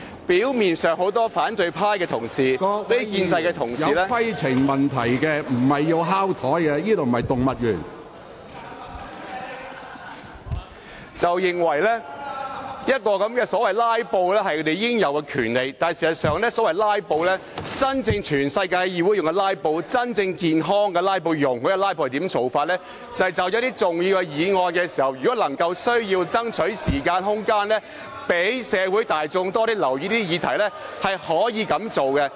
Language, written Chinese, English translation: Cantonese, 表面上，很多反對派同事認為"拉布"是他們應有的權利，但事實上，在世界其他地方的議會採用的"拉布"。真正健康及容許的"拉布"，是有需要就某些重要議案爭取時間和空間，讓社會大眾多些留意議題才可以這樣做。, It appears that many opposition Members consider filibustering their entitled right but in fact in overseas legislatures healthy and permissible filibustering will only take place when there is a need to buy time and space for certain important motions with a view to heightening the awareness of the general public on the subject under discussion